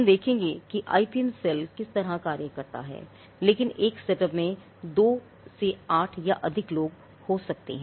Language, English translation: Hindi, Now, we will get to what kind of tasks and functions the IPM cell does, but in a setup it could be between 2 to 8 people it could be even more